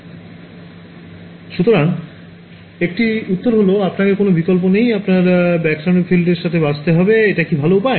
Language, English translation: Bengali, So, one answer is that you have no choice, you have to live with backscattered field; is that a better way of doing it